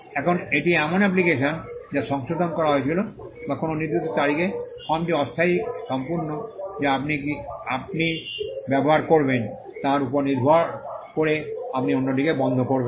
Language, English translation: Bengali, Now this is an application which was amended or in a particular date, the form there is provisional complete depending on which who you use, you will strike off the other